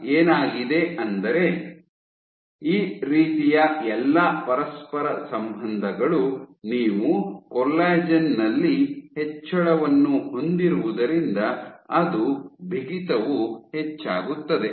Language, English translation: Kannada, So, what has been, so all of this kind of correlate that as you have increase in, so increase in collagen would mean it to increase in stiffness